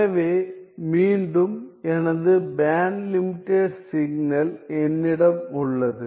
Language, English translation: Tamil, So, so then what is the band limited signal